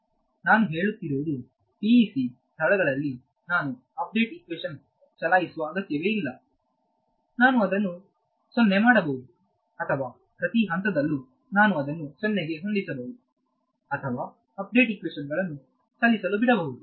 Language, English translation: Kannada, So, in some sense what I am saying is that I do not need to explicitly keep running the update equations on the PEC locations, I can set it to 0 either I can set it to 0 at each step explicitly or I let the update equations run they will keep it at 0 ok